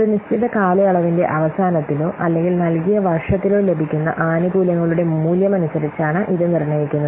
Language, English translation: Malayalam, This is determined by the value of the benefits which may be obtained at the end of a given period or the given year